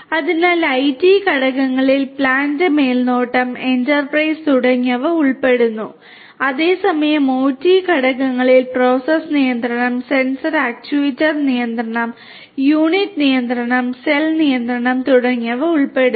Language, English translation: Malayalam, So, IT factors include plant supervision, enterprise and so on whereas, the OT factors include process control, sensor actuator control, unit control, call control and so on